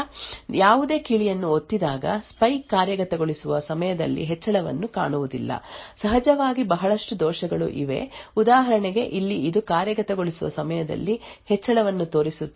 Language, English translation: Kannada, Again after some time when there is no key pressed the spy does not see an increase in the execution time, there are of course a lot of errors which may also creep up like for example this over here which shows an increase in execution time even though no keys have been pressed